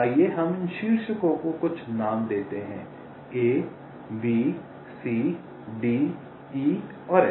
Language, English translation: Hindi, lets also give some names to these vertices: a, b, c, d, e and f